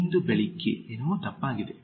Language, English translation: Kannada, What is wrong with today morning